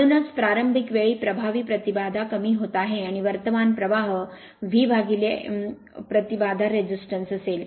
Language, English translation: Marathi, So, at start therefore effective impedance is getting reduced and current will be your current is equal to V upon impedance